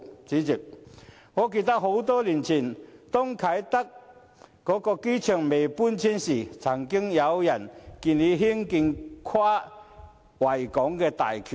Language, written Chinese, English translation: Cantonese, 主席，我記得很多年前啟德機場還未搬遷的時候，曾有人建議興建跨維港大橋。, President I recall that many years ago before the relocation of the Kai Tak Airport there was a suggestion of constructing a bridge crossing the Victoria Harbour